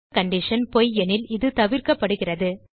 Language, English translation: Tamil, If the above condition is false then it is skipped